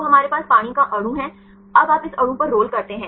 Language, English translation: Hindi, So, we have the water molecule now you roll on this molecule